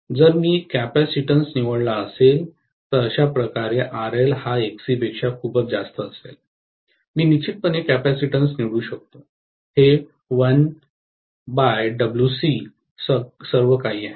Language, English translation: Marathi, If I choose the capacitance is such a way that RL is much much higher than XC, I can definitely choose the capacitance, it is 1 by omega C after all